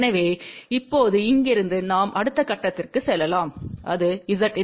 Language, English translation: Tamil, So, now from here, we can go to the next step and that is Z input